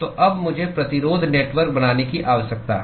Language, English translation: Hindi, So, now, I need to draw the resistance network